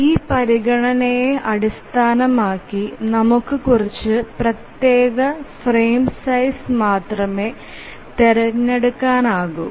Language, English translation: Malayalam, Based on this consideration, we can select only few discrete frame sizes